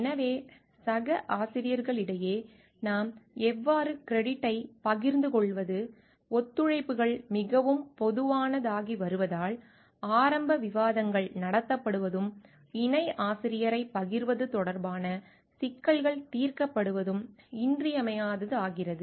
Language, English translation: Tamil, So, how do we share credit amongst coauthors; as collaborations are becoming very common, it becomes essential that early discussion are held and issues regarding sharing co authorship are resolved